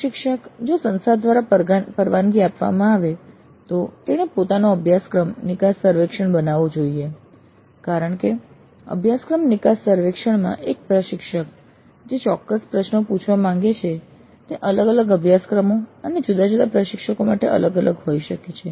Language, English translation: Gujarati, Instructor if permitted by the college should design his, her own course exit survey form because the specific questions that an instructor would like to ask in the course exit survey may be different for different courses and different instructors